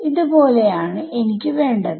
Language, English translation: Malayalam, So, something like that is what I want